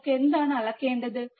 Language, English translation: Malayalam, What we have to measure